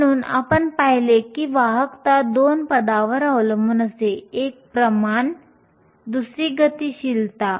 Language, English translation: Marathi, So, we saw that the conductivity depends on two terms, one is the concentration the other is the mobility